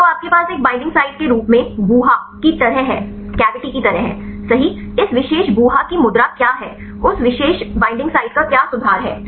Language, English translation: Hindi, So, you have the cavity right acting as a binding site, what is the pose of this particular cavity, what is the conformation of that particular binding site